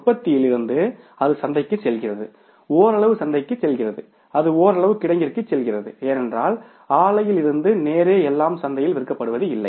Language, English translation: Tamil, From the production it goes to the market, partly it goes to the market, partly it goes to the warehouse because everything is not sold in the market straightway from the plant